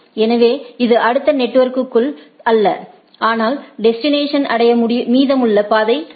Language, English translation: Tamil, So, it is not the which is the next networks, but what is the path in the rest of the to reach the destination